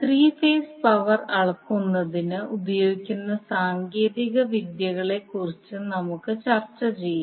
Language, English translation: Malayalam, Let us discuss the techniques which we will use for the measurement of three phase power